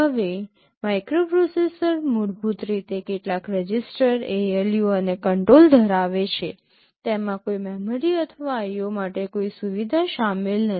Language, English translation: Gujarati, Now, a microprocessor contains basically some registers, ALU and control; it does not contain any memory or any facility for IO